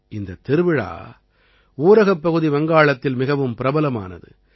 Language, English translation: Tamil, This fair is very popular in rural Bengal